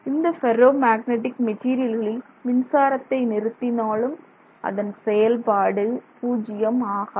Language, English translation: Tamil, So, with the ferromagnetic material you cannot just switch off the current and expect it to drop to zero